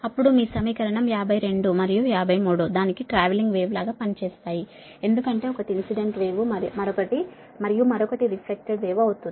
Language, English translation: Telugu, that your that equation fifty two and fifty three, its behave like a travelling wave, right, because one is incident wave and another is reflected one